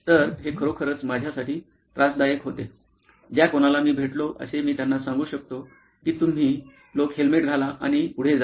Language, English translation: Marathi, So, this was something that was really irking me, whoever I could approach I could tell them you know guys wear a helmet and go on